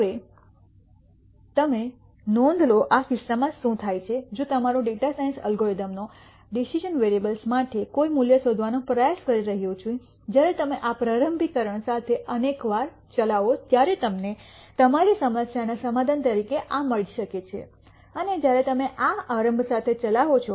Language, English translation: Gujarati, Now, notice what happens in this case if your data science algorithm is trying to find a value for the decision variable, when you run this once with this initialization you might get this as a solution to your problem, and when you run with this initialization you might get this as a solution to this problem